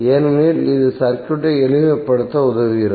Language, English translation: Tamil, because it helps in simplifying the circuit